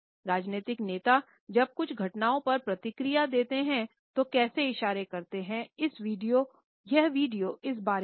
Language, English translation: Hindi, It is about how political leaders make gestures when they react to certain events